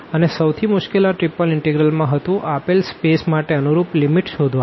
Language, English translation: Gujarati, And, the most difficult part again in this triple integral is finding the limits corresponding to the given space here